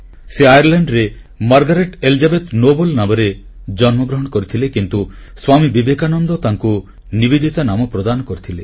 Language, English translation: Odia, She was born in Ireland as Margret Elizabeth Noble but Swami Vivekanand gave her the name NIVEDITA